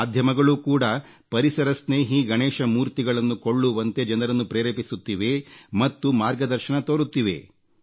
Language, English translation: Kannada, Media houses too, are making a great effort in training people, inspiring them and guiding them towards ecofriendly Ganesh idols